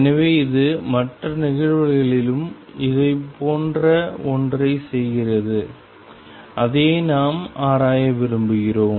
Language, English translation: Tamil, So, it does something similar happen in other cases and that is what we want to explore in